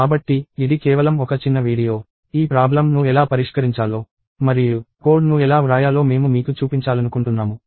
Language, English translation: Telugu, So, this is just a small video that I wanted to show you on how to solve this problem and how to write code